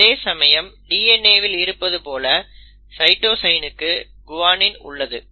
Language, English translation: Tamil, And then again as seen in DNA for cytosine you will always have a guanine